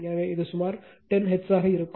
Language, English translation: Tamil, So, this will be approximately 10 hertz